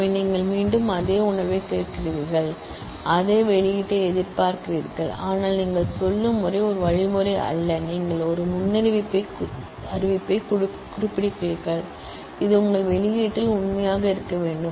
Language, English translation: Tamil, So, you are again asking for the same feel, you are expecting the same output, but the way you are saying is not an algorithm, you are rather specifying a predicate, which must be true in your output